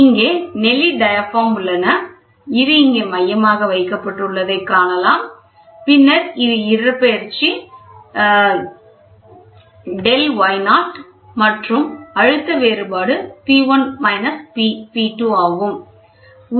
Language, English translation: Tamil, So, here are corrugated diaphragms, you can see here this is placed here the centerpiece and then this is a displacement is a delta y naught, and the pressure difference is P1 P 2